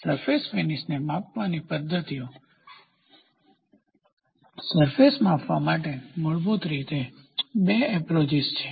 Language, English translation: Gujarati, So, methods of measuring a surface finish, there are basically two approaches for measuring surface finish